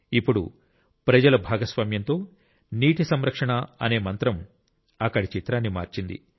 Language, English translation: Telugu, Now this mantra of "Water conservation through public participation" has changed the picture there